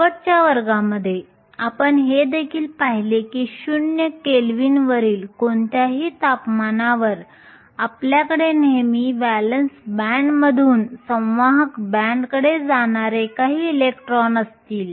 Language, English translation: Marathi, Last class we also saw that at any temperature above Zero Kelvin, you would always have some electrons from the valence band going to the conduction band